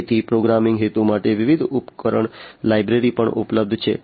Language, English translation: Gujarati, So, different device libraries are also available for the programming purpose